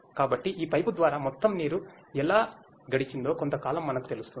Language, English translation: Telugu, So, over a period of time how total water has passed through this pipe will be known to us